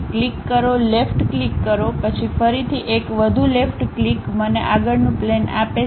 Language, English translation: Gujarati, Click, left click, then again one more left click gives me front plane